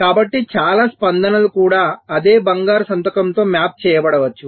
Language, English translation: Telugu, so even many possible responses might get mapped into the same golden signature